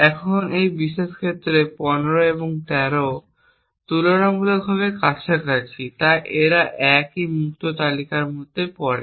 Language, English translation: Bengali, Now in this particular case 15 and 13 are relatively close, so they fall within the same free list